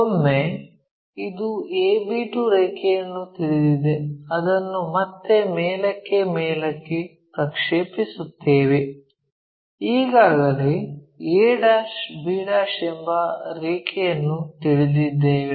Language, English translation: Kannada, Once, this a b 2 line is known we again project it back all the way up, a' b' line already known